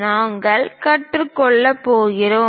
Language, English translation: Tamil, We are going to learn